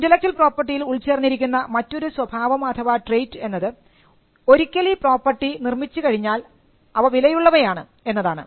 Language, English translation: Malayalam, Another trait or something inherent in the nature of intellectual property right is that, these rights once they are created, they are valuable